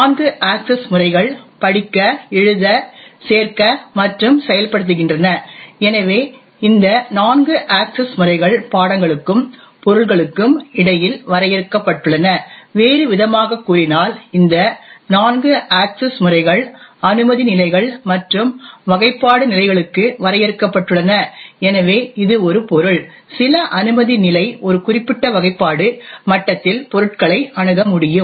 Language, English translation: Tamil, There are four access modes read, write, append and execute, so these four access modes are defined between subjects and objects, in another words these four access modes are defined for clearance levels and classification levels, so it would say that a subject with a certain clearance level can access objects in a certain classification level